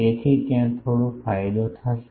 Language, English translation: Gujarati, So, there will be some gain